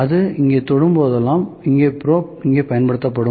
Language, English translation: Tamil, So, whenever it touches here so, this probe will use here